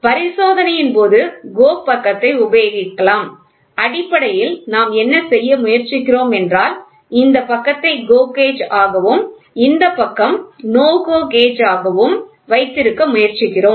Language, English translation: Tamil, During inspection the GO side of the; so, basically what we are trying to do is we are trying to have this side will be GO gauge this side will be no GO gauge